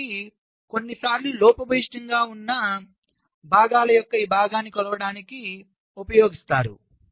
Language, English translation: Telugu, ok, so this is sometimes used to measure this fraction of ships, parts that are defective